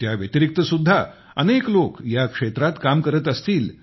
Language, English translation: Marathi, Many more such people must be working in this field